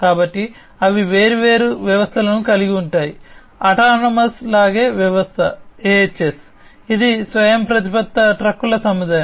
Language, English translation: Telugu, So, they have different systems the autonomous haulage system AHS, which is a fleet of autonomous trucks